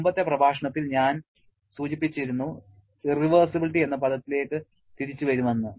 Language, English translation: Malayalam, In the previous lecture, I mentioned that I shall be coming back to the term irreversibility